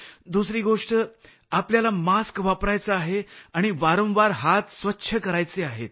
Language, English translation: Marathi, Secondly, one has to use a mask and wash hands very frequently